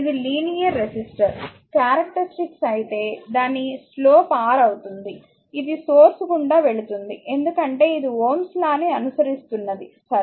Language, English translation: Telugu, If you see this is a linear register characteristic it is slope is R, it is passing through the origin since a this following this follows Ohm’s law, right